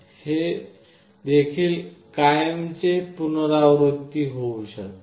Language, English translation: Marathi, This can also repeat forever